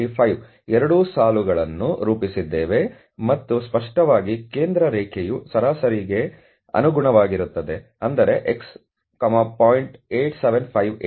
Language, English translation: Kannada, 8735, and obviously the central line is corresponding to the mean the mean of means that is , 0